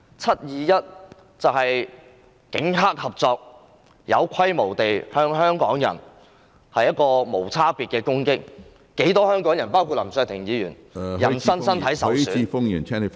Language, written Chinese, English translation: Cantonese, "七二一"事件是警黑合作，有規模地向香港人作無差別攻擊，不少香港人包括林卓廷議員的人身受嚴重傷害......, In the 21 July incident the Police collaborated with triad members to attack Hong Kong people indiscriminately on a large scale and many people including Mr LAM Cheuk - ting sustained serious personal injuries